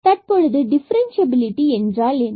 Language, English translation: Tamil, Now, what is differentiability and differential usually